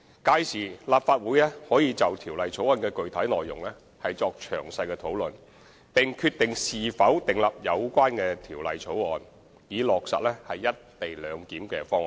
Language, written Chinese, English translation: Cantonese, 屆時，立法會可就條例草案的具體內容作詳細討論，並決定是否通過有關的條例草案，以落實"一地兩檢"方案。, The Legislative Council can have thorough discussions on the specific contents of the relevant bill and decide if the bill should be passed to implement the co - location arrangement